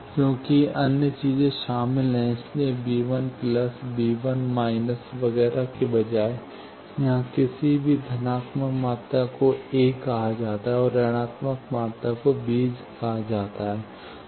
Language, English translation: Hindi, Since there are other things involved, so, instead of V 1 plus, V 1 minus, etcetera, here, any plus quantity is called as a, and minus quantities are called as b